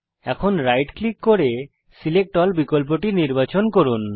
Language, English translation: Bengali, Now right click and choose the SELECT ALL option